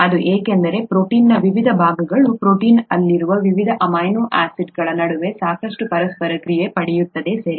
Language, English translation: Kannada, That is because; there is a lot of interaction that happens between the various parts of the protein, the various amino acids in the protein, okay